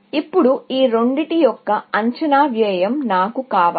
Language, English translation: Telugu, Now, I want estimated cost of these two